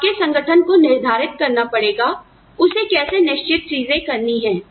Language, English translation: Hindi, So, your organization has to decide, how it wants to do certain things